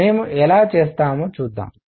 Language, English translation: Telugu, Let us see how we do that